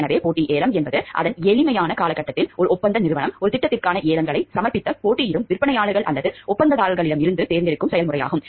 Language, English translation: Tamil, So, competitive bidding in its simplest term means it is a process by which a contracting firm, selects from amongst the competing vendors or contractors who have submitted bids for a project